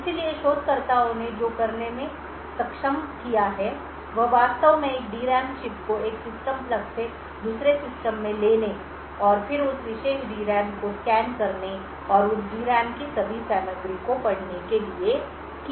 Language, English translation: Hindi, So, what researchers have been able to do is to actually pick a D RAM chip from a system plug it into another system and then scan that particular D RAM and read all the contents of that D RAM